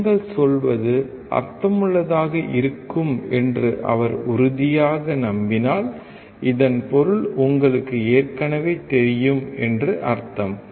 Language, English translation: Tamil, If he is convinced that what you are telling makes sense, then it means you already know the subject